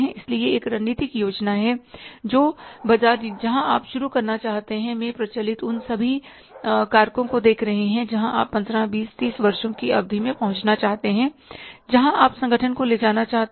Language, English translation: Hindi, Looking at the all factors prevailing in the market where you want to start, where you want to end up over a period of 15, 20, 30 years where you want to take this organization